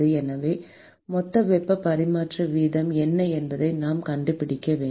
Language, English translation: Tamil, So, we need to find out what is the total heat transfer rate